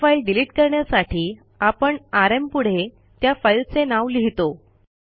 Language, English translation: Marathi, That is do delete a single file we write rm and than the name of the file